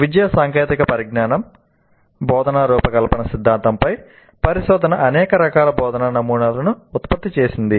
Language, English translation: Telugu, The research into the educational technology, instruction design theory has produced a wide variety of instructional models